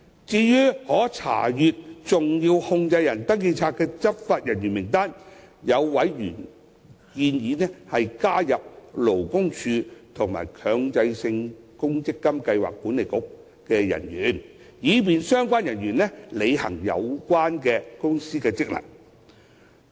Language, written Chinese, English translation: Cantonese, 至於可查閱登記冊的執法人員名單，有委員建議加入勞工處和強制性公積金計劃管理局的人員，以便相關人員履行有關公司的職能。, As regards the list of law enforcement officers accessible to SCRs a member proposed adding officers of the Labour Department and the Mandatory Provident Fund Schemes Authority to the list with a view to facilitating the discharge of their functions relating to companies